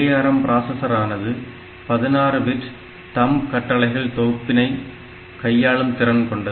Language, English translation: Tamil, Also this ARM processor they are capable of 16 bit thumb instructions set